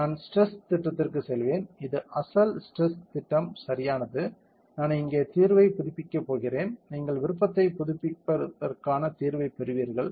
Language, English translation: Tamil, I will go to the stress plot, this has the original stress plot correct, I am going to update the solution here, you will get the option updating solution